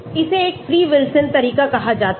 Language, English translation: Hindi, this is called a free Wilson approach